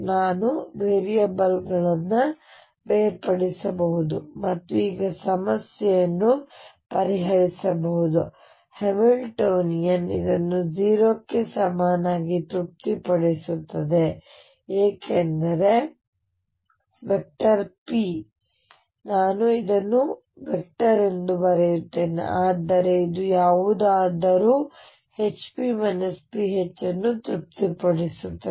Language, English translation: Kannada, We can do separation of variables and solve the problem now again the Hamiltonian satisfies this equal to 0 because p, vector let me write this is a vector is nothing but h cross over i times the gradient operator any can satisfy yourself that this satisfies hp minus p H equal 0